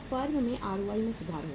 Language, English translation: Hindi, The firm’s ROI will improve